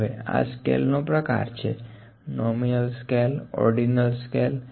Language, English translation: Gujarati, Now, this is the kind of scales nominal scale, ordinal scale